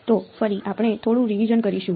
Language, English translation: Gujarati, So again we will do a little bit of revision